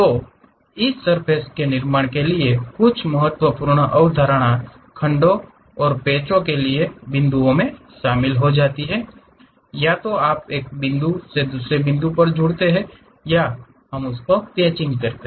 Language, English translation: Hindi, So, some of the important concepts for this surface constructions are join points for segments and patches either you join by one point to other point or by patches we will do